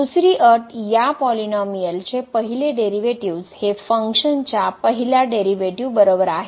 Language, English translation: Marathi, Second: that the first derivative of this polynomial is equal to the first derivative of the function